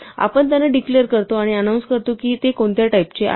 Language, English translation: Marathi, We declare them and say in advance what type they have